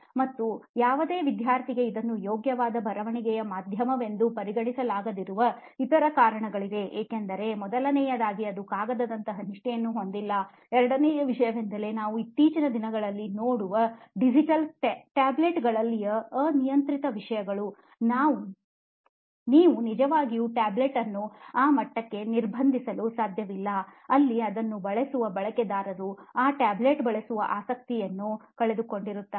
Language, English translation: Kannada, And there are lot of other reasons why this cannot be considered to be are preferable writing medium for any student because first of all it does not have a fidelity like a paper, second thing is that the digital tablets that we see around nowadays so they have many unrestricted contents, you really cannot restrict a tablet to that level where the user the who is using that will lose the interest of using that tablet